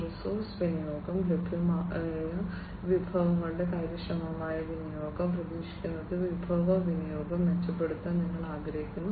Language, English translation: Malayalam, Resource utilization, efficient utilization of available resources that is what is expected, you want to improve upon the resource utilization